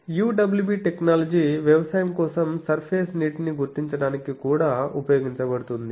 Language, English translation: Telugu, UWE technology also is used for subsurface water detection for agriculture